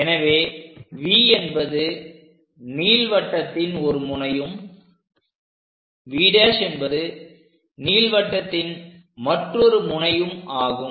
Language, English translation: Tamil, So, V is one end of this ellipse V prime is another end of an ellipse